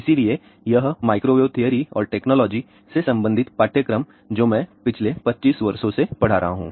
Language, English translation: Hindi, So, this microwave theory and technique related course; I have been teaching for last 25 years